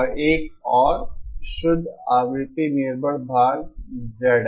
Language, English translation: Hindi, And another purely frequency dependent part Z L